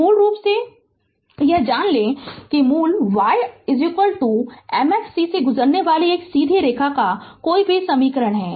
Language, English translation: Hindi, So, basically you know that any equation of a straight line passing through the origin y is equal to mx plus c